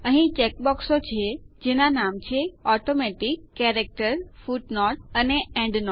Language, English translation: Gujarati, There are checkboxes namely ,Automatic, Character, Footnote and Endnote